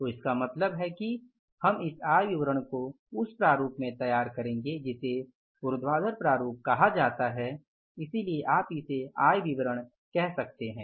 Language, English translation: Hindi, So, it means we will be preparing this income statement in the format which is called as the vertical format